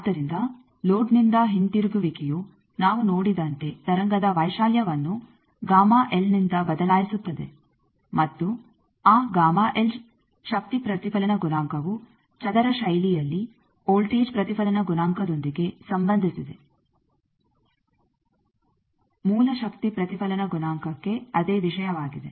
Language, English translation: Kannada, So, a bounce back from load changes the amplitude of the wave by gamma L as we have seen and that gamma L power reflection coefficient is related in a square fashion with the voltage reflection coefficient, same thing for source power reflection coefficient